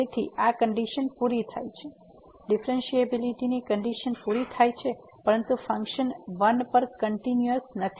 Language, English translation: Gujarati, So, this condition is met differentiability condition is met, but the function is not continuous at 1